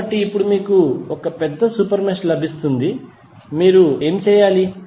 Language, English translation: Telugu, So, now you get this larger super mesh, what you have to do